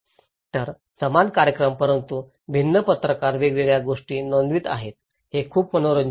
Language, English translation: Marathi, So, same event but different journalists are reporting different things, it’s so interesting